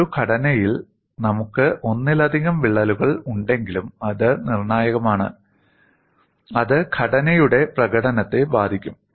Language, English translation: Malayalam, Even though we have multiple cracks in a structure, it is the crack that is critical, is going to affect the performance of the structure